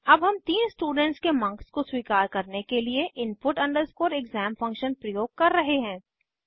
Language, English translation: Hindi, Now we are using input exam function to accept the marks of three subject